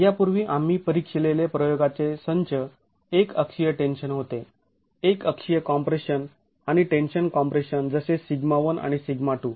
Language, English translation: Marathi, When the set of experiments that we examined earlier were uniaxial tension, uniaxial compression and tension compression as sigma 1 and sigma 2